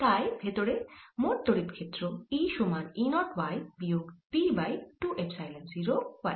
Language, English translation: Bengali, the electric field e inside is nothing but e applied, which is e zero minus p over two epsilon zero